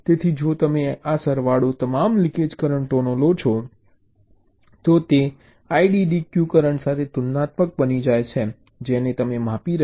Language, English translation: Gujarati, so if you take this sum total of all the leakage currents, that becomes comparable with this iddq current which you are measuring